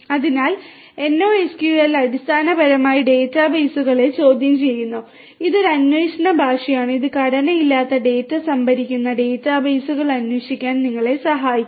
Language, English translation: Malayalam, So, NoSQL is basically querying the databases you know this is a query language which can help you in querying databases which store unstructured data